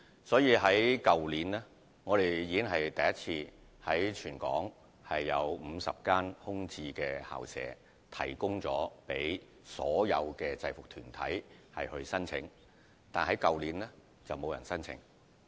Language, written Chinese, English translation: Cantonese, 所以，我們去年已第一次提供全港50多間空置校舍讓制服團體申請，只是去年並沒有團體提出申請。, Therefore last year we have made available for the first time more than 50 vacant school premises for application by uniformed groups but none of them applied back then